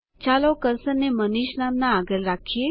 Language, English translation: Gujarati, Let us place the cursor after the name,MANISH